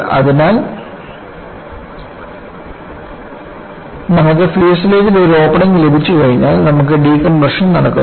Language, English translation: Malayalam, So, onceyou have an opening in the fuselage, you have decompression taking place